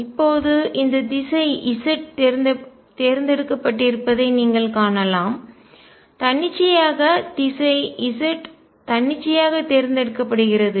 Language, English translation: Tamil, Now you see these direction z is chosen arbitrarily direction z is chosen arbitrarily